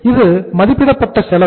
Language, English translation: Tamil, This is the estimated cost